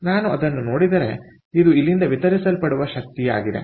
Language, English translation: Kannada, so therefore, if i look at it, this is the energy that is being delivered from here